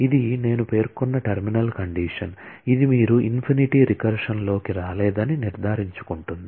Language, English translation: Telugu, This is as I mentioned is a terminal condition which makes sure that, you do not get into infinite recursion